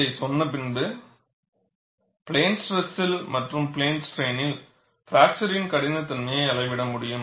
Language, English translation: Tamil, Having said that, you should also be able to measure fracture toughness in plane strain as well as fracture toughness in plane stress